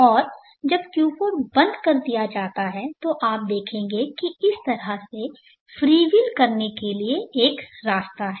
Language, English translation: Hindi, And when q4 is switched off you will see that there is a path for it to freewheel in this fashion up again like this